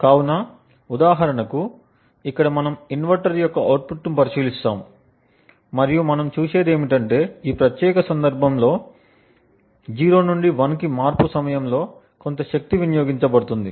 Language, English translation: Telugu, So, for example over here we will look at the output of the inverter and what we see is that during this transition from 0 to 1 in this particular case there is some power that gets consumed